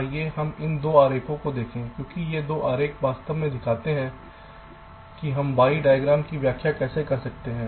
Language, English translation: Hindi, lets look at these two diagrams, because these two diagrams actually show how we can interpret the y diagram